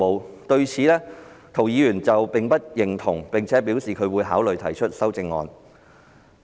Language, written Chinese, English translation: Cantonese, 涂謹申議員對此不表認同，並表示會考慮提出修正案。, Mr James TO does not agree with the explanation and indicates that he will consider proposing amendments